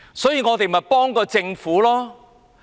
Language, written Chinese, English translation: Cantonese, 所以，我們才要幫助政府。, That is why we need to help the Government